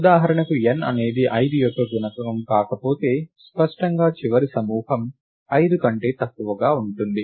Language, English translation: Telugu, For example, if n is not a multiple of 5, then clearly the last group will be smaller than 5